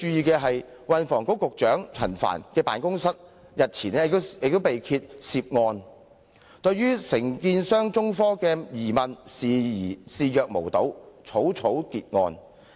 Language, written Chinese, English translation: Cantonese, 據報局長辦公室對分判商中科興業有限公司早前提出有關沙中線的疑問視若無睹，草草結案。, It was reported that the Office had turned a blind eye to the allegations previously made by the subcontractor China Technology Corporation Ltd and hastily closed the case